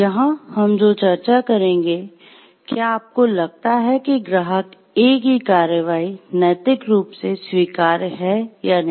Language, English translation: Hindi, So, here we will again discuss like whether do you think the actions of client A is morally permissible or not